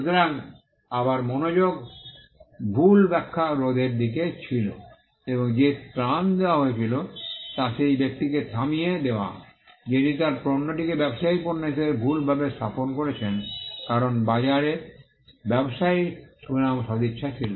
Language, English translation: Bengali, So, again the focus was on preventing misrepresentation and the relief offered was to stop the person, who was misrepresenting his goods as the goods of the trader, because trader had a reputation and goodwill in the market